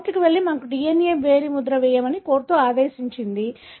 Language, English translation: Telugu, So, it went to the court and, the court ordered that let us do a DNA finger printing